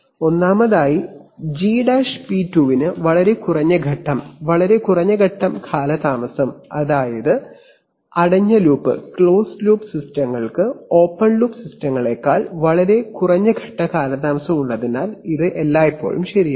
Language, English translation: Malayalam, Firstly G’p2 has much less phase, much less phase lag, that is that is always true because of the fact that closed loop systems have much less phase lag than open loop systems